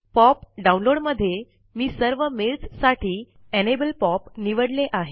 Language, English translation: Marathi, In the POP download, I have selected Enable POP for all mail